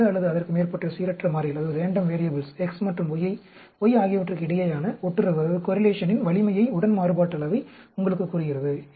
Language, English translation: Tamil, Covariance tells you the strength of the correlation between 2 or more sets of random variables, X and Y